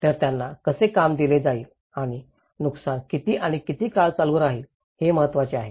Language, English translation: Marathi, So, how will they be employed and how much and how long will the harm continue is important